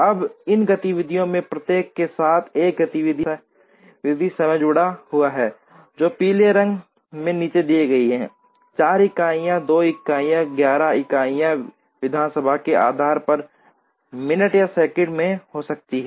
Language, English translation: Hindi, Now, there is an activity time associated with each of these activities, which are given in yellow, the 4 units, 2 units, etcetera; units could be in minutes or seconds depending on the assembly